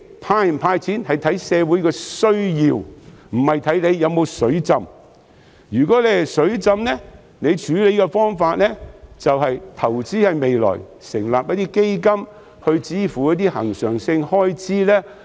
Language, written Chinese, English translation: Cantonese, "派錢"與否應視乎社會的需要，而不是視乎是否"水浸"；如果"水浸"，處理方法應該是投資未來，成立基金以支付一些恆常性開支。, To hand out cash or not depends on societys needs but not whether the Treasury is flooded . If it is flooded the money should be used to invest for the future such as setting up a fund to cover certain recurrent expenses